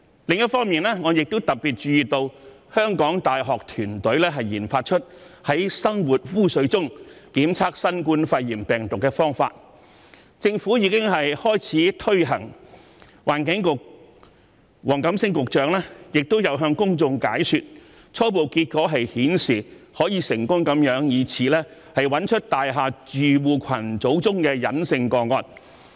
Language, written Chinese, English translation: Cantonese, 另一方面，我亦特別注意到香港大學團隊研發出在生活污水中檢測新冠肺炎病毒的方法，政府已經開始推行有關計劃，環境局局長黃錦星亦有向公眾解說，初步結果顯示此方法可以成功找出大廈住戶群組中的隱性個案。, On the other hand I particularly note that a team at the University of Hong Kong has developed a method to test domestic sewage for the COVID - 19 virus . The Government has already implemented the scheme concerned and Mr WONG Kam - sing the Secretary for the Environment has also explained to the public that preliminary results showed that subclinical cases among household groups in the buildings could be successfully detected by this method